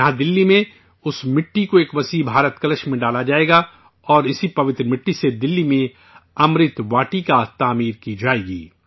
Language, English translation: Urdu, Here in Delhi, that soil will be put in an enormous Bharat Kalash and with this sacred soil, 'Amrit Vatika' will be built in Delhi